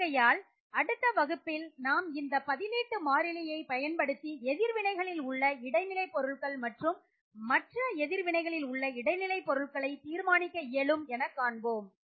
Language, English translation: Tamil, So what we will do in the next lecture is we will look at How we can use this substituent constant to understand how intermediates are in other reactions and how we can determine what the intermediates are in other reactions